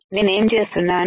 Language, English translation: Telugu, So, here what I have done